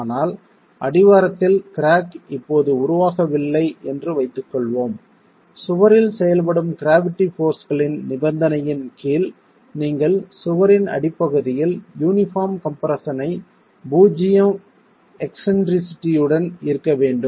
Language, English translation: Tamil, But let's assume that the crack is not formed now at the base and under a condition of just gravity forces acting on the wall you should have uniform compression at the base of the wall itself with zero eccentricity of the resultant